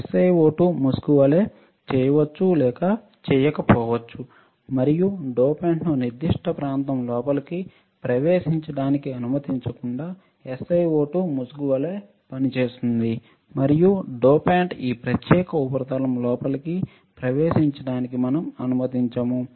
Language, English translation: Telugu, The SiO2 will not or will act as a mask and we will not allow the dopant to enter in this particular region, right, SiO2 will act as a mask and we will not allow the dopant to enter in this particular substrate